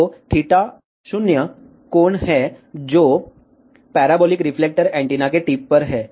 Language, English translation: Hindi, So, theta 0 is the angle, which is at the tip of the parabolic reflector antenna